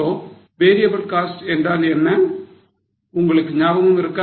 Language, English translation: Tamil, So, do you remember now what is a variable cost